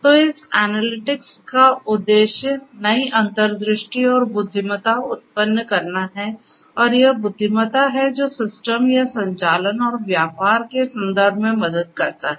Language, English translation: Hindi, So, the purpose of this analytics is to generate new insights and intelligence, and this is this intelligence which helps in terms of the systems or the operations and business